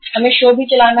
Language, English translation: Hindi, We have to run the show also